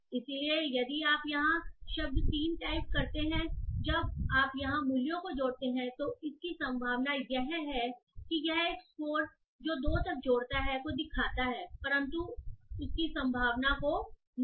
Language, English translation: Hindi, So if you see here the word type 3 when you add up the values here it has a probability, it shows a score not a probability but a score which adds up to 2